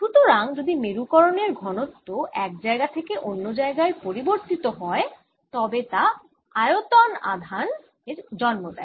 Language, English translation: Bengali, so if polarization density changes from one place to the other, it also gives rise to a bulk charge